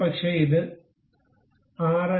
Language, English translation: Malayalam, Maybe just make it 6